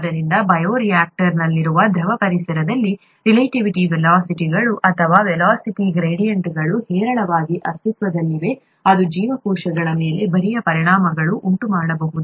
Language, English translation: Kannada, So, in a fluid environment as in a bioreactor relative velocities, or velocity gradients exist in abundance, which can cause, which can cause shear effects on cells